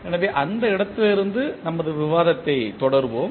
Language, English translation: Tamil, So, we will continue our discussion from that point onwards